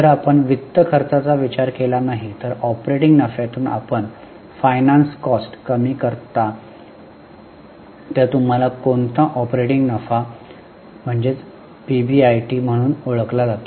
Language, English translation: Marathi, If you don't consider finance costs, then from operating profit you deduct finance cost, then what operating profit is also known as PBIT